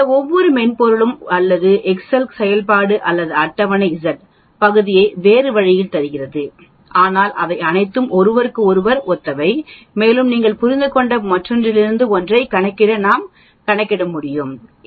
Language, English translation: Tamil, Each of these softwares or Excel function or the table gives Z the area in a different way, but they are all analogous to each other and we can calculate one from the other you understand